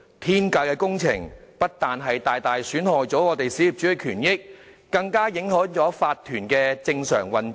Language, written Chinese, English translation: Cantonese, "天價工程"不僅大大損害小業主的權益，更影響了法團的正常運作。, These works projects at astronomical costs have severely jeopardized the interests of small property owners and affected the normal operation of owners corporations OCs